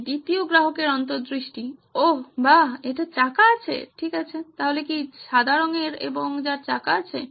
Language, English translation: Bengali, This is the second customer insight oh wow it has wheels too okay, so what is white and has wheels